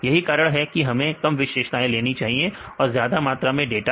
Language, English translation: Hindi, This is the reason why we need the less number of features and more number of data